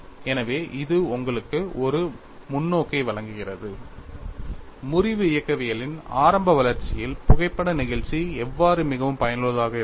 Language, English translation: Tamil, So, that provides you a perspective, how photo elasticity has been quite useful in the early development of fracture mechanics